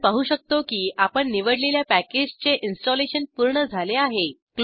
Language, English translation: Marathi, We can see that the installation of selected package is completed